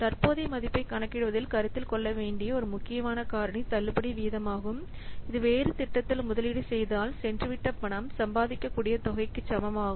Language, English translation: Tamil, So, so a critical factor to consider in computing the present value is a discount rate which is equivalent to the forgone amount that the money could earn if it were invested in a different project